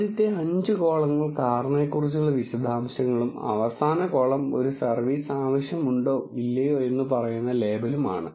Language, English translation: Malayalam, First five columns are the details about the car and the last column is the label which says whether a service is needed or not